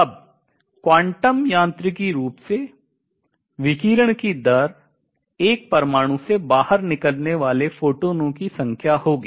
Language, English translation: Hindi, Now, quantum mechanically, the rate of radiation would be the number of photons coming out from an atom